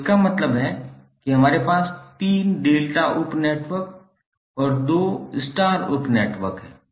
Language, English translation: Hindi, So it means that we have 3 delta sub networks and 2 star sub networks